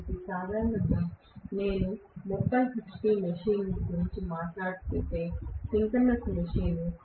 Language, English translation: Telugu, So, synchronous machine generally if I talk about a 30 hp machine